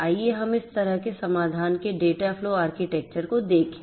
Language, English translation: Hindi, Let us look at the dataflow architecture of such a solution